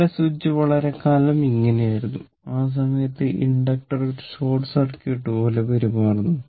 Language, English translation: Malayalam, So, this switch was open for a long time means, that inductor is behaving like a short circuit right